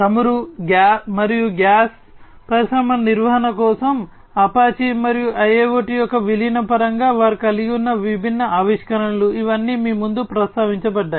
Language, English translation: Telugu, Apache for oil and gas industry maintenance, and the different innovations that they have had in terms of the incorporation of IIoT, these are all mentioned in front of you